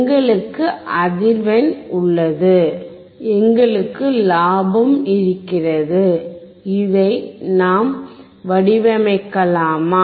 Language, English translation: Tamil, We have frequency; we have gain; can we design this